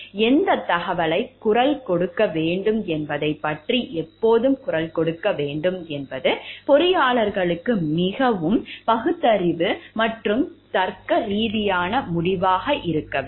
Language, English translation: Tamil, And when to voice about what information to voice needs to be a very rational and logical decision for the engineers to take